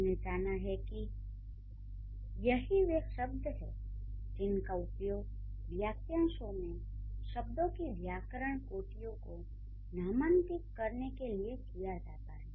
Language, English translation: Hindi, So, we have been taught these are the terms which are used to label the grammatical categories of the words in the phrase